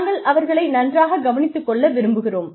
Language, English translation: Tamil, We want to take care of them, really well